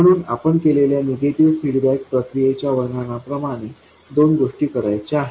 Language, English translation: Marathi, So, as we described the process of negative feedback, there are two things to be done